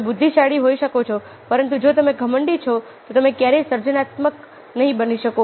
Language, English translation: Gujarati, you might be intelligent, but if you arrogant, then you can never be creative